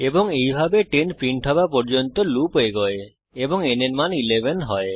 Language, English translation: Bengali, And so on till all the 10 numbers are printed and the value of n becomes 11